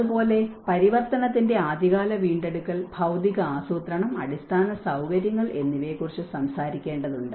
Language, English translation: Malayalam, Similarly, the early recovery in transition one has to talk about the physical planning, the infrastructure